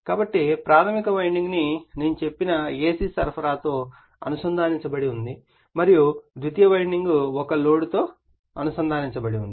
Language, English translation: Telugu, So, primary winding is connected to AC supply I told you and secondary winding may be connected to a load